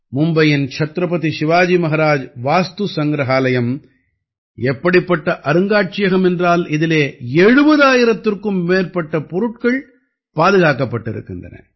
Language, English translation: Tamil, Mumbai's Chhatrapati Shivaji Maharaj VastuSangrahalaya is such a museum, in which more than 70 thousand items have been preserved